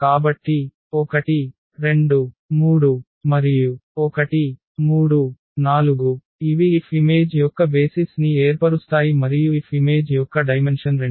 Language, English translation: Telugu, So, 1 2 3 and 1 3 4 these will form the basis of the image F and the dimension of the image F is 2